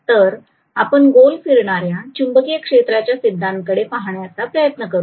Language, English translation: Marathi, So let us try to look at the revolving magnetic field theory